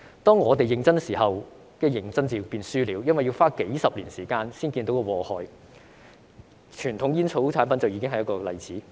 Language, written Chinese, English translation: Cantonese, 當我們認真的時候，"認真便輸了"，因為要花幾十年時間才可看到禍害，傳統煙草產品就已經是一個例子。, When we are serious―we lose if we are serious because it takes decades to see the harm . Conventional tobacco products are a case in point